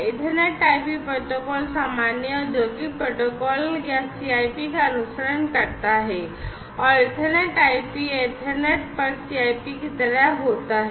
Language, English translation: Hindi, So, this Ethernet IP protocol follows the common industrial protocol, Common Industrial Protocol CIP, common industrial protocol and Ethernet IP basically happens to be like, CIP over Ethernet, CIP over Ethernet